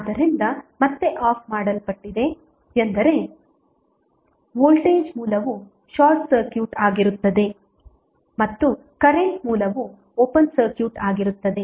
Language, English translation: Kannada, So, again the turned off means the voltage source would be short circuited and the current source would be open circuited